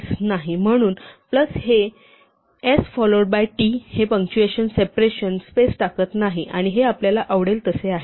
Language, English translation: Marathi, So, plus literally puts s followed by t, it does not introduce punctuation, any separation, any space and this is as you would like it